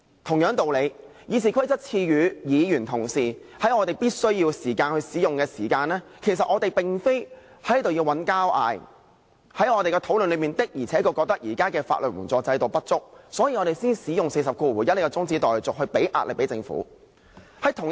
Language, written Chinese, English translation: Cantonese, 同樣道理，《議事規則》賦予議員同事在必須時使用該規則，其實我們並非要在此吵架，而在我們的討論中，確實覺得現時的法援制度不足，所以我們才會使用第401條這項中止待續議案，向政府施壓。, Equally RoP confers on Members the power to invoke this rule when necessary . The aim is not for us to pick quarrels . In the course of the legal aid fee discussion we have indeed found some deficiencies in the current legal aid system